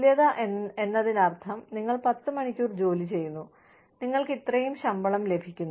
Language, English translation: Malayalam, Equality means, you put in 10 hours of work, you get, this much salary